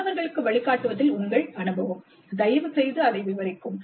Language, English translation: Tamil, So your experience in mentoring students, please describe that